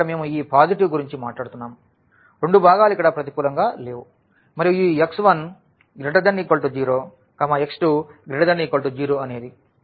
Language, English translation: Telugu, So, here we are talking about this positive so, both the components are non negative here; x 1 is greater than 0 here also this greater than 0